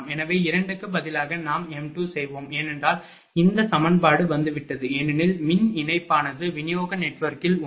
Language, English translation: Tamil, So, instead of 2 we will m 2 because, this is the this equation has come because, of the electrically equivalent of branch one of the distribution network